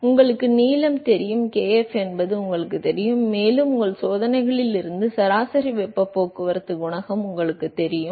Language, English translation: Tamil, So, you know kf you know the length, and you know the average heat transport coefficient from your experiments